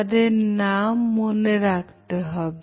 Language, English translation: Bengali, First, Remember people’s names